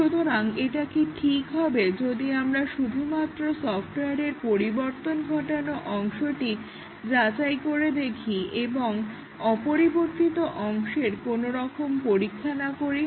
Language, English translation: Bengali, So, is it ok that if we just test the changed part of the software and do not test the unchanged part